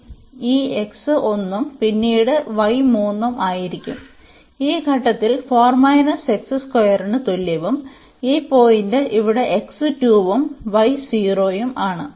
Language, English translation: Malayalam, So, this x is 1 and then y will be 3 at this point by this y is equal to 4 minus x square and that this point here the x is 2 and the y is 0